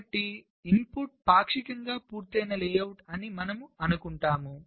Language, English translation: Telugu, ok, so we assume that the input is a partially completed layout